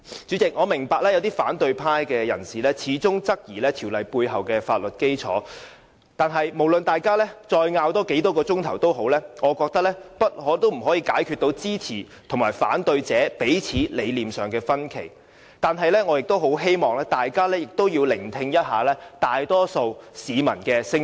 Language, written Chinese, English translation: Cantonese, 主席，我明白有些反對派人士始終質疑《條例草案》背後的法律基礎，無論大家爭拗再久，我覺得也不可以解決支持和反對者彼此在理念上的分歧，但我希望大家也要聆聽一下大多數市民的聲音。, President I understand that some opposition Members still query the legal basis of the Bill . No matter how long we argue I think ideological differences between the opponents and supporters of the Bill cannot be resolved but I hope that we will listen to the voices of people in the majority